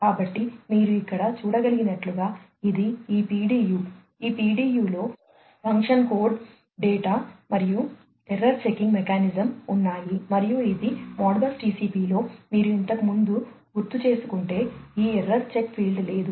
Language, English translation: Telugu, So, as you can see over here, this is this PDU, this PDU consists of the function code data, and the error checking mechanism, and this if you recall earlier in Modbus TCP this error check field was not there